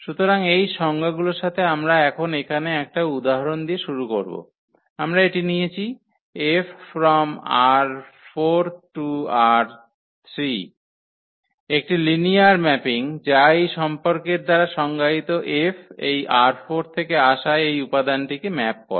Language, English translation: Bengali, So, with these definitions we start now here with the example, where we have taken this F linear map from R 4 to R 3 is a linear mapping which is defined by this relation F maps this element which is from R 4